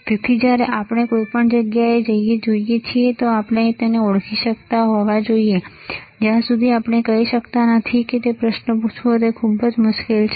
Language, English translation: Gujarati, So, whenever we see anything we should be able to identify, until we cannot speak what is that very difficult to ask a question